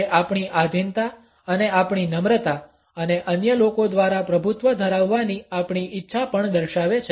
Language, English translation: Gujarati, It also shows our submissiveness and our meekness and our willingness to be dominated by other people